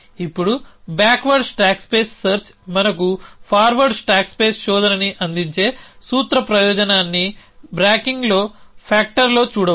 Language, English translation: Telugu, Now, you can see the principle advantage that backward stack space search gives us forward stack space search is in the branching factor